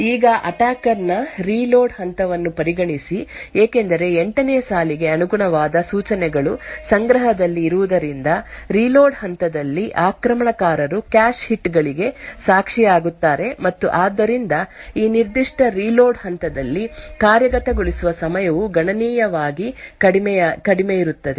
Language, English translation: Kannada, Now consider the attacker’s reload phase, since the instructions corresponding to line 8 are present in the cache the attacker during the reload phase would witness cache hits and therefore the execution time during this particular reload phase would be considerably shorter